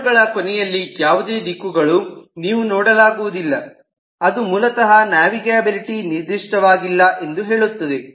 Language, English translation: Kannada, you do not see any directions at the end of the arrows, so it basically says that the navigability is unspecified